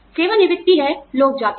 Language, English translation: Hindi, Retirement is, yes, people go